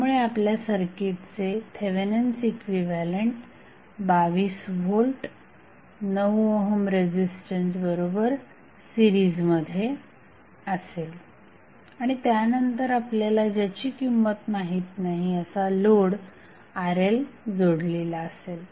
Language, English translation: Marathi, So, your equivalent, Thevenin equivalent of the circuit would be the 22 volt in series with 9 ohm resistance and then you have connected and unknown the load that is Rl